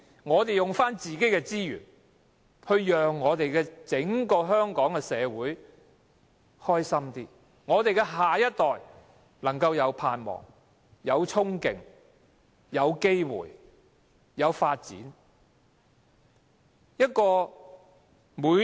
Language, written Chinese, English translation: Cantonese, 我們利用自己的資源，要讓整個香港社會更加快樂，令我們的下一代能夠有盼望、有憧憬、有機會和有發展。, We make use of our own resources aiming to help the entire Hong Kong society become happier to enable the next generation harbours hope and aspiration on top of enjoying opportunities and development